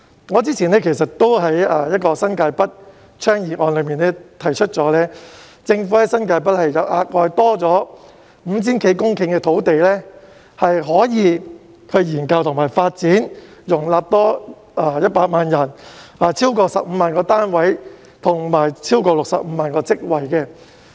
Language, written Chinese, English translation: Cantonese, 我之前曾在一項有關新界北的議案中提出，政府在新界北額外多了 5,000 多公頃土地可以進行研究及發展，該處可以容納多100萬人、興建超過15萬個單位及創造超過65萬個職位。, I have previously proposed in a motion on New Territories North that the Government should conduct studies and develop the additional 5 000 - odd hectares of land in New Territories North which can be used to accommodate 1 million people build more than 150 000 units and create more than 650 000 jobs